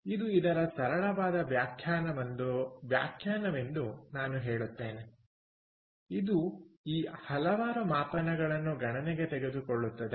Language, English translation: Kannada, so this is, i would say, rather a simple definition, so which does take into account several of these metrics